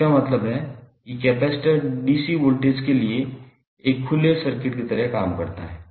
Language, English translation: Hindi, That means the capacitor acts like an open circuit for dC voltage